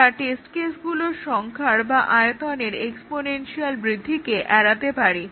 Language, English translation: Bengali, We avoid the exponential blow of in the size of the test cases